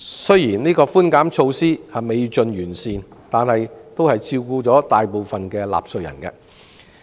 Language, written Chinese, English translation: Cantonese, 雖然寬免措施未盡完善，但也照顧了大部分納稅人。, Even though there is still room for improvement the tax concession measure can benefit most taxpayers